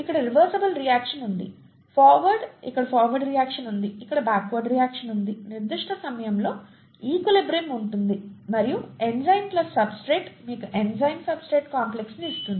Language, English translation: Telugu, There is a reversible reaction here, forward, there is a forward reaction here, there is a backward reaction here, there is an equilibrium at certain time and enzyme plus substrate gives you the enzyme substrate complex